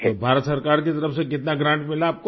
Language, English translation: Hindi, So how much grant did you get from the Government of India